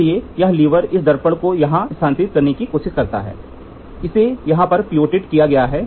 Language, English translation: Hindi, So, this lever tries to move this mirror here, it is pivoted here